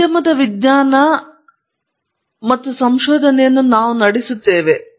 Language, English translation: Kannada, So, we have industry driven science and research